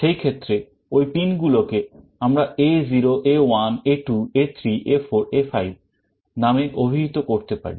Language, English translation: Bengali, In that case those pin numbers we can refer to as A0 A1 A2 A3 A4 A5